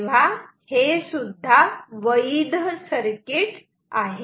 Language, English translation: Marathi, So, this is also a valid circuit